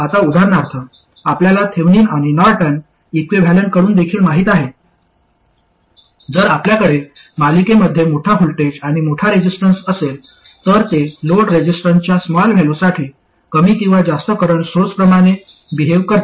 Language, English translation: Marathi, So, for instance that you also know from Thevenin and Norton equivalents, if you have a large voltage and a large resistance in series with it, then it behaves more or less like a current source for small values of load resistance